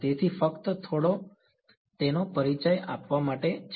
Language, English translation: Gujarati, So, this is just by means of giving some introduction to it